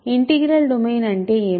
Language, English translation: Telugu, Because what is an integral domain